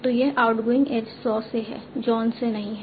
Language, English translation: Hindi, So this outging age is from saw, not from John